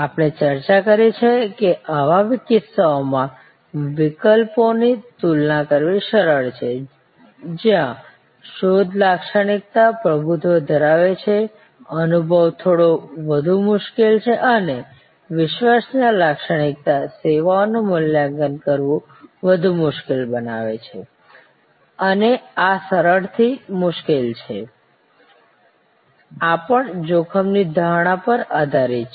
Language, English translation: Gujarati, And we have discussed that it is easier to compare the alternatives in those cases, where search attribute dominates, experience is the little bit more difficult and credence attribute services are more difficult to evaluate and this easy to difficult, this is also based on risk perception